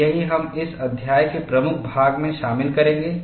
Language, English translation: Hindi, And, that is what we would cover in major part of this chapter